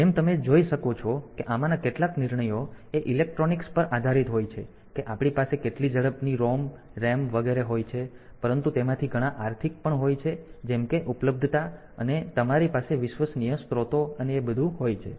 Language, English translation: Gujarati, So, as you can see that some of these decisions are based on the electronics that we have like this speed amount of ROM RAM etcetera, but many of them are economic also like say availability of availability and you have reliable resource sources and all that